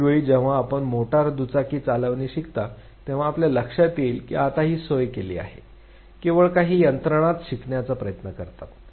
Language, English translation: Marathi, Next time when you learn riding motor bike you realize that it is now facilitated; only few mechanisms have tries to learn